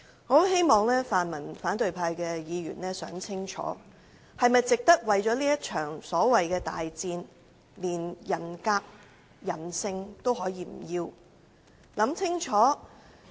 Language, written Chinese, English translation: Cantonese, 我很希望泛民反對派議員想清楚，為了這場所謂的大戰，連人格、人性也不要是否值得？, I really hope that pan - democratic and opposition Members will think carefully whether it is worthwhile to forgo their dignity and humanity for the so - called major war